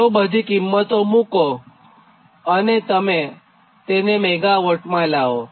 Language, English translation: Gujarati, so substitute all the value and convert it to megawatt